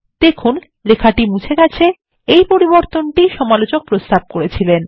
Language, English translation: Bengali, You will see that the text gets deleted which is the change suggested by the reviewer